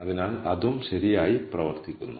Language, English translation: Malayalam, So that also works out properly